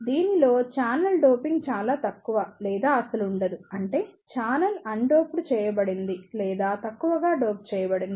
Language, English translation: Telugu, In this the channel, doping is either very light or there is no doping ; that means, the channel is either undoped or it is lightly doped